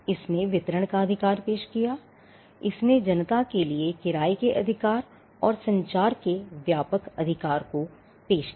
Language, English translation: Hindi, It introduced the right of distribution; it introduced the right of rental and a broader right of communication to the public